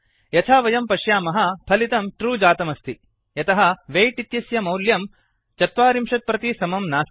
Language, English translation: Sanskrit, As we can see, the output is true because the values of weight is not equal to 40